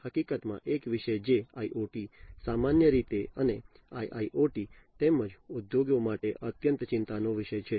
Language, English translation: Gujarati, In fact, a topic, which is of utmost concern in IoT, in general and IIoT, as well for the industries